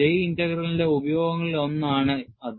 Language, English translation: Malayalam, That is one of the uses of J Integral